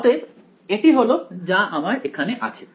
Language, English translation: Bengali, So, that is what we have over here